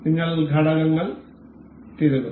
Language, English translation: Malayalam, We will insert components